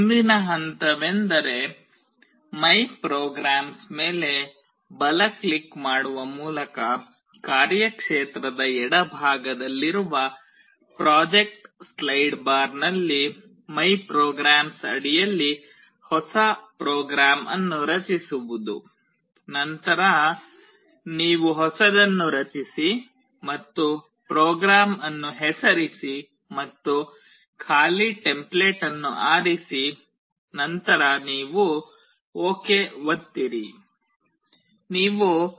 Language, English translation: Kannada, Next step is to create a new program under ‘my programs’ in the project slide bar to the left of the workspace by right clicking on MyPrograms, then you create a new one and name the program and choose an empty template and then you press ok